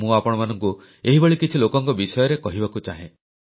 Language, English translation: Odia, I would like to tell you about some of these people